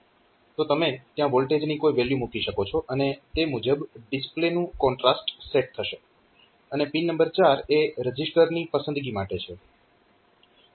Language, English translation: Gujarati, So, you can put some voltage value there accordingly the contrast of the display will be selected then the pin number 4 is for the register selection